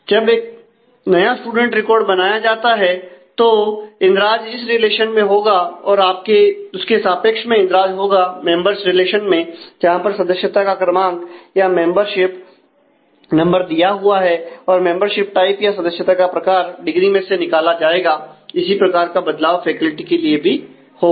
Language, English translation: Hindi, So, when a new student record is created an entry will happen in this relation as well as a corresponding entry we will need happen in the members relation where the membership number is given and the membership type will be derived from the degree similar change will happen in terms of the faculty as well